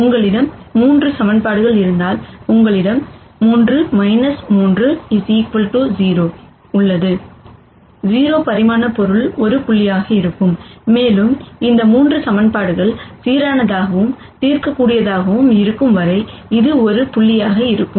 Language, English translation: Tamil, And if you have 3 equations, then you have 3 minus 3 equals 0, the 0 dimensional object would be a point, and this would be a point as long as these 3 equations are consistent and solvable